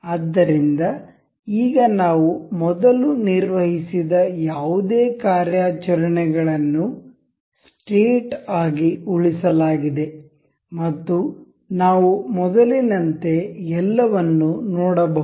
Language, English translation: Kannada, So, now, whatever the operations we have performed earlier they are saved as a state, and we can see the everything as before